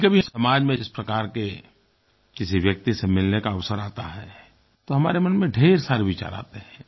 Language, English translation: Hindi, Sometimes when we meet someone with different ability in the society then a lot of things come to our mind